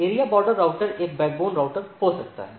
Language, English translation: Hindi, So, area border router can be a backbone router